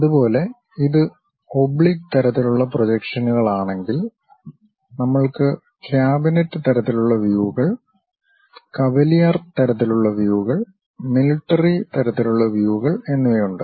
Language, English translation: Malayalam, Similarly if it is oblique kind of projections, we have cabinet kind of views, cavalier kind of views, military kind of views we have